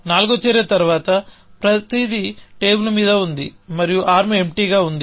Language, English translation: Telugu, After the fourth action, everything is on the table and the arm empty